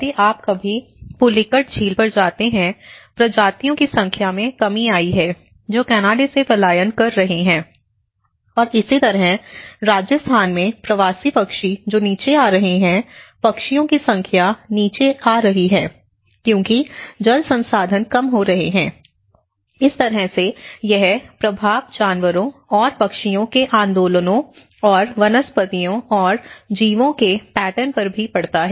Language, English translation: Hindi, So, the migratory species now, in fact if you ever go to Pulicat lake and now, the number of species have come down which are migrated from Canada and similarly, in Rajasthan the migratory birds which are coming down so, the number of birds are coming down so because the water resources are diminishing so, this is how the impact is also caused on the animals and the birds movements and flora and fauna patterns